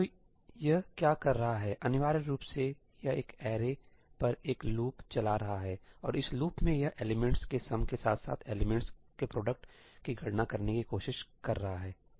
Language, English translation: Hindi, what is this doing essentially itís running a loop over an array and in this loop it is trying to compute the sum of the elements as well as the product of the elements, right